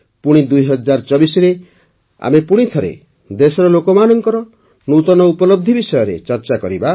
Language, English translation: Odia, In 2024 we will once again discuss the new achievements of the people of the country